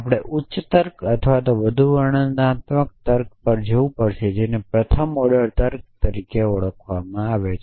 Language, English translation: Gujarati, We will have to go to a higher logic or a more descriptive logic which is called as first order logic